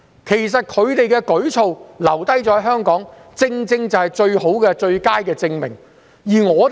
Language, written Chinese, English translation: Cantonese, 其實，它們留在香港的舉措正好是最佳證明。, The fact that they choose to stay in Hong Kong is the best proof